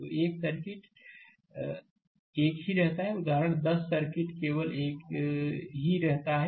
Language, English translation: Hindi, So, a circuit remain same example 10 circuit remain same only